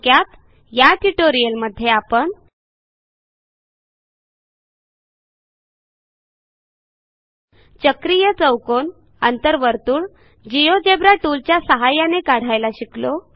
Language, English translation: Marathi, To Summarize In this tutorial we have learnt to construct cyclic quadrilateral and In circle using the Geogebra tools